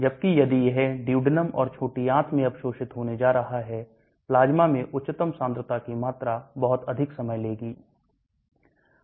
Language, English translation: Hindi, Whereas if it is going to get absorbed into the duodenum or small intestine the maximum concentration in the plasma will take much longer time